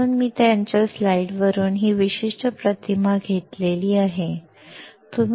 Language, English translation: Marathi, So, I have taken this particular image from his slide